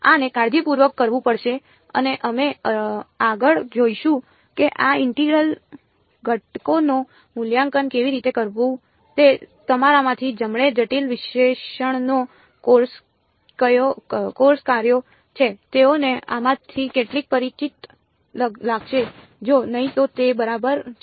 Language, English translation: Gujarati, These have to be done carefully and we will look at these next how to evaluate these integrals those of you who have done a course on complex analysis will find some of this familiar if not it does not matter ok